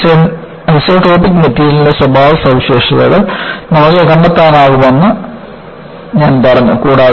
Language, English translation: Malayalam, I said that, you can find out the parameters to characterize an isotropic material